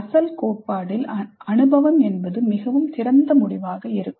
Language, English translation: Tamil, So in the original theory the experience can be quite open ended